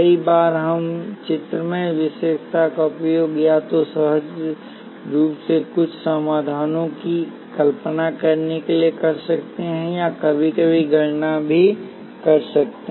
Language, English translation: Hindi, Many times we can use this graphical characteristic to either visualize intuitively some solutions or even sometimes carry out the calculations